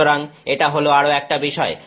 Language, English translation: Bengali, So, this is another issue